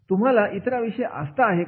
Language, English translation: Marathi, Are you concerned with others